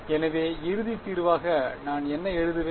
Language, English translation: Tamil, So, what will I write the final solution